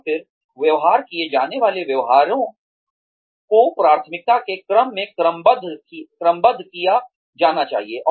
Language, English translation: Hindi, And then, the behaviors to be modelled, should be ranked, in order of priority